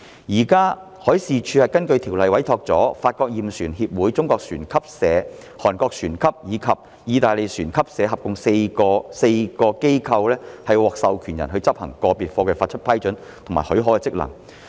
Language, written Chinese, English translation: Cantonese, 現時海事處根據條例委託了法國驗船協會、中國船級社、韓國船級社及意大利船級社合共4間機構為獲授權人，執行就個別貨櫃發給批准的職能。, In accordance with the Ordinance the Marine Department MD has currently appointed a total of four organizations ie . Bureau Veritas China Classification Society Korean Register of Shipping and RINA Services SpA as authorized persons to perform the function of issuing approvals in respect of individual containers